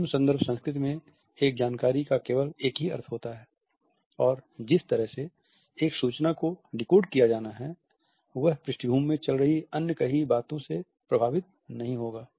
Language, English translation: Hindi, In low context culture a single information has only a single meaning and the way an information is to be decoded is not to be influenced by the rest of the unsaid things which have gone into the background